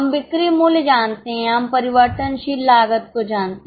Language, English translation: Hindi, We know sales price, we know the variable costs